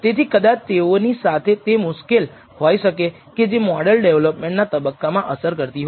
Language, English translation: Gujarati, So, there could be problems with those that is probably affecting the model development phase